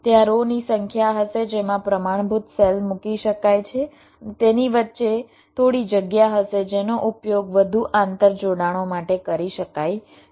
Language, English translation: Gujarati, ok, there will be number of rows in which the standard cells can be placed and there will be some space in between which can be used further interconnections